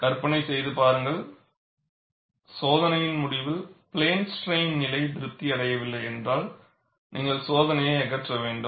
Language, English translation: Tamil, And imagine, at the end of the test, if plane strain condition is not satisfied, you have to scrap the test